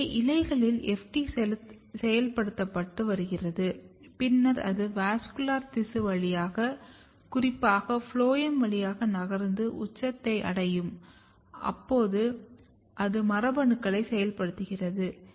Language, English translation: Tamil, So, FT is getting activated in the leaf and then it basically moves through the vascular tissue precisely through the phloem and when it reaches to the apex in apex it basically activates the genes